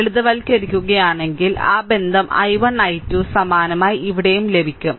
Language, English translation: Malayalam, So, if you simplify you will get that relationship i 1, i 2, similarly, here also same way you do, right